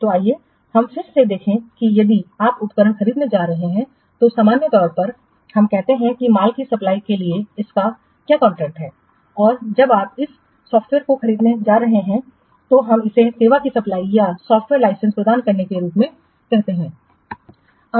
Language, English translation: Hindi, So, let's see again that if you are going to purchase equipment, normally we call it as what contract for the supply of goods and when you are going to purchase the software we call us supplying a service or granting a license